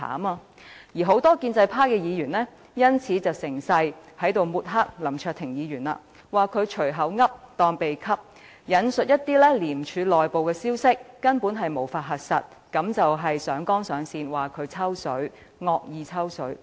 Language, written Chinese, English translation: Cantonese, 但是，很多建制派議員卻因此趁機抹黑林卓廷議員，指他"隨口噏當秘笈"，引述一些廉署內部根本無法核實的消息，上綱上線地指控林卓廷議員在"惡意抽水"。, However many pro - establishment Members have seized the opportunity to smear the reputation of Mr LAM Cheuk - ting by accusing him of making whimsical statements and citing ICACs internal information which can hardly be verified and alleging with exaggeration that Mr LAM Cheuk - ting is taking advantage of the situation with malicious intent